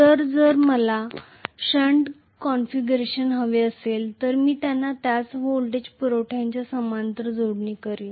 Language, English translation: Marathi, So,if I want shunt configuration I will connect them in parallel to the same voltage supply that is it